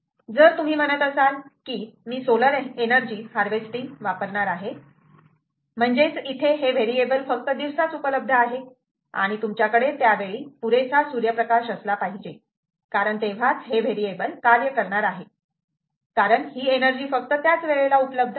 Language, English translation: Marathi, if you say that, ah, i use a solar energy harvesting means that only this variable should be worn during the time during the day you should have sufficient sunlight, and only on the duck condition the variable actually is able to work, because that is a time when the energy is available